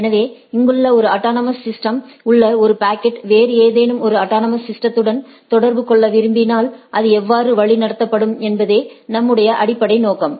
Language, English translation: Tamil, So, our basic objective is to how if a packet from a autonomous system here wants to communicate to a autonomous system in some other place, so how it will be routed